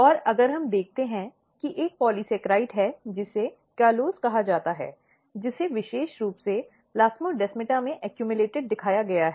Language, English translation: Hindi, And if we look there is another important thing one polysaccharide, which is called callose, which has been shown to specifically accumulated at the plasmodesmata